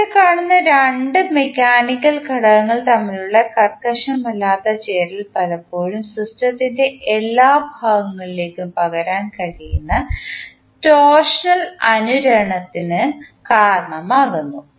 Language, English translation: Malayalam, The non rigid coupling between two mechanical components which we see here often causes torsional resonance that can be transmitted to all parts of the system